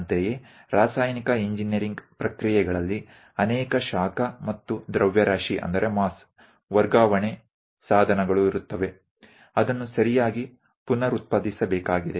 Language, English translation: Kannada, Similarly, for chemical engineering, there will be many heat and mass transfer equipment, and that has to be reproduced correctly